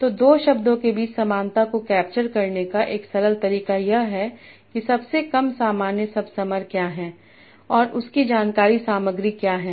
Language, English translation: Hindi, So one simple way of capturing similarity between me two words is by seeing what is the lowest common subsumer and what is the information content of that